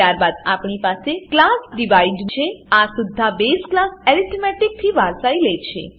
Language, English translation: Gujarati, Then we have class Divide this also inherits the base class arithmetic